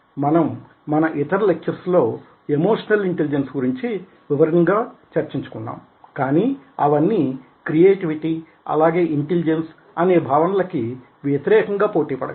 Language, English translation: Telugu, now in some of the other lectures we are doing emotional intelligence, where the details of it will be discussed, but they can be pitted against the concept of creativity as well as intelligence